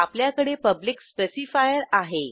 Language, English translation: Marathi, Here we have the Public specifier